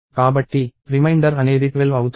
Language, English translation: Telugu, Therefore, 12 is the reminder